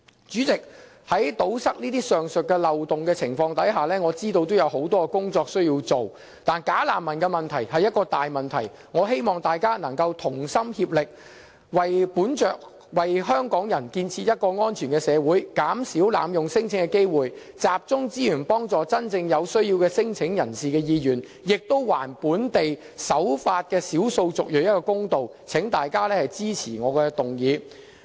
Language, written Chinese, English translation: Cantonese, 主席，我知道要堵塞上述漏洞，我們需要做很多工作，但"假難民"是一個大問題，我希望大家能夠同心協力，為香港人建設一個安全的社會，減少濫用聲請的機會，集中資源幫助真正有需要的聲請人的意願，亦還本地守法的少數族裔一個公道，請大家支持我的議案。, President I understand that much work is needed before we can tighten the loopholes above . But bogus refugees have created such a big problem that I hope we can joint force to create a safe society for Hong Kong people and reduce the room for abusing the system for lodging non - refoulement claims so as to focus our resources on satisfying the aspirations of genuine claimants as well as to give justice the law - abiding ethnic minorities in Hong Kong . Please support my motion